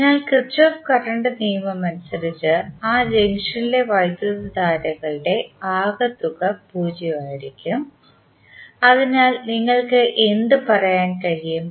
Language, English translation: Malayalam, So, as per Kirchhoff Current Law your some of the currents at that junction would be 0, so what you can say